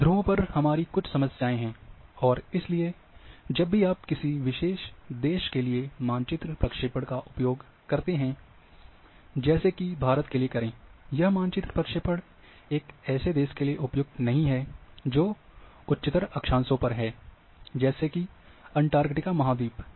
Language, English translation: Hindi, On the poles you are having some problems, and therefore, whenever you use map projection for particular country; like say for India, that particular map projection is not going to be suitable for a country, which is at higher latitudes; say like continent like Antarctica